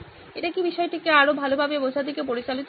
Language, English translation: Bengali, Is it leading to better understanding the topic